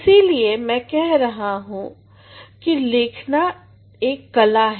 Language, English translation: Hindi, So, that is why I say writing is an art